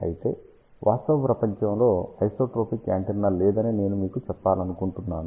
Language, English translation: Telugu, However, I want to tell you there is a no isotropic antenna in the real world